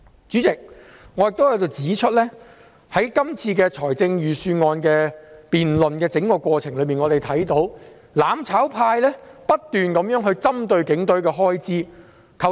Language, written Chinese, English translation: Cantonese, 主席，我亦在這裏指出，在這份預算案的整個辯論過程中，我們看到"攬炒派"不斷針對警隊的開支。, President I also wish to point out here that the mutual destruction camp kept targeting the expenditure of the Police in the entire Budget debate